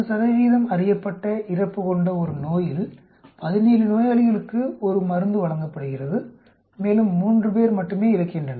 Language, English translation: Tamil, In a disease with 40 percent known mortality, a drug is given to 17 patients and only 3 die